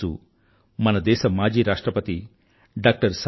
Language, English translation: Telugu, It is the birthday of our former President, Dr